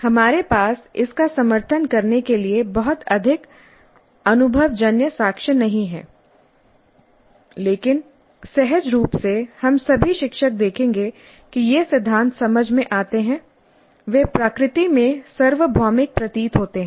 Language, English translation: Hindi, We do not have too much of empirical evidence to back it up but intuitively all of us teachers would see that these principles make sense